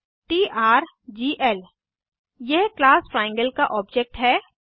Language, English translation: Hindi, This is the object of class Triangle